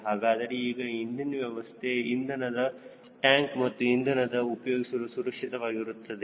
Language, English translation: Kannada, so now i am pretty sure that my fuel system, my fuel tanks and my fuel is safe for use